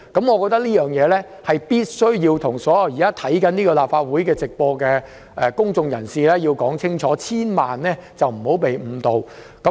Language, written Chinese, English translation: Cantonese, 我認為必須向正在觀看立法會會議直播的公眾人士清楚說明這一點，他們千萬不要被誤導。, I think it is necessary to make this clear to members of the public who are watching the live broadcast of this Legislative Council meeting lest they would be misled